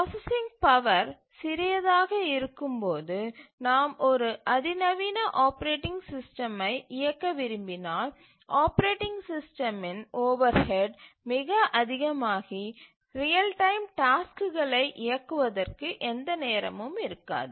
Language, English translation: Tamil, When the processing power is small, if we want to run a sophisticated operating system, then the overhead of the operating system will be so much that there will be hardly any time left for running the real time tasks